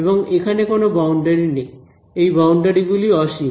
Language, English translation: Bengali, And there is no boundary over here this boundaries infinity